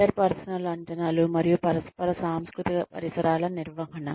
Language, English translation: Telugu, Management of interpersonal expectations and intercultural environments